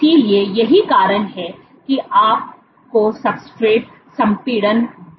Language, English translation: Hindi, So, that is why you get increase substrate compression